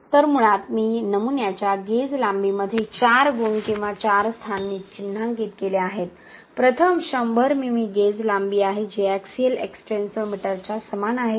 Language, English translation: Marathi, So basically, I have marked 4 points or 4 positions in the gauge length of the specimen, the first one is 100 mm gauge length which is equal to the axial extensometer, why